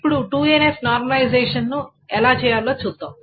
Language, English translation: Telugu, So now let us try to see how to do this 2NF normalization